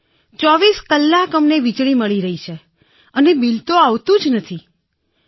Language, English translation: Gujarati, We are getting electricity for 24 hours a day…, there is no bill at all